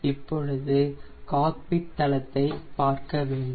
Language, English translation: Tamil, so you can see the cockpit here